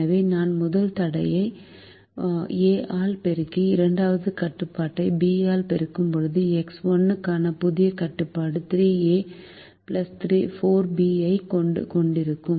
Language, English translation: Tamil, so when i multiply the first constraint by a and i multiply the second constraint by b, the new constraint for x one will have three a plus four b